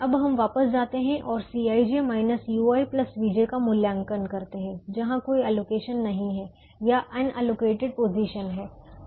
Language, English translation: Hindi, now we go back and evaluate c i j minus u i plus v j, where there are no allocations, or in the unallocated position